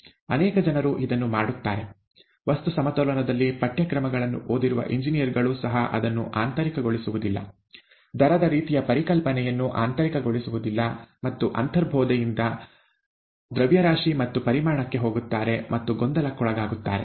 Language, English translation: Kannada, Many people do this; even engineers who have gone through courses in material balances don’t internalize it, don’t internalize the concept of rate and kind of intuitively get into mass and volume and so on so forth, and get confused